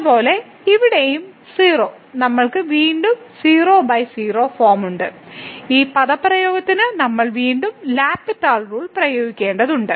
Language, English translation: Malayalam, Similarly, here also 0 so, we have again 0 by 0 form and we need to apply the L’Hospital rule to this expression once again